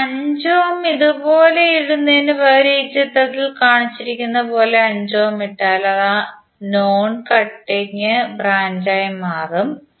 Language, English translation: Malayalam, Instead of putting 5 ohm like this if you put 5 ohm as shown in this figure, it will become non cutting branch